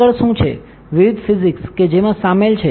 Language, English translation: Gujarati, Next is what are the different physics that are involved